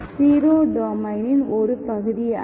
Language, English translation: Tamil, 0 is not part of the domain, okay